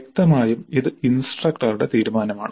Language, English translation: Malayalam, Again this is the choice of the instructor